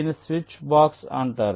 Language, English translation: Telugu, this is called a switch box